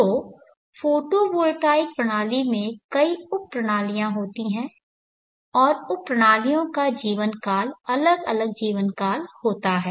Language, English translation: Hindi, So photolytic system contains many sub systems and the sub systems have different life spans